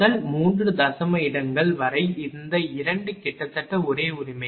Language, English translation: Tamil, Up to first 3 decimal places this 2 are almost same right